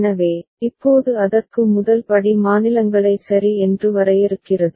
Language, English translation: Tamil, So, now for that the first step required is defining the states ok